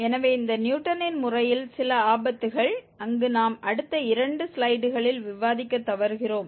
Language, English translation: Tamil, So, some pitfalls of this Newton's method where it fails that we will discuss in the next two slides